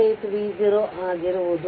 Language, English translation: Kannada, 368 V 0 right